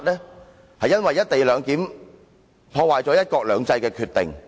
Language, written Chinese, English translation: Cantonese, 這是因為"一地兩檢"破壞了"一國兩制"的決定。, It is because the co - location arrangement damages the decision to implement one country two systems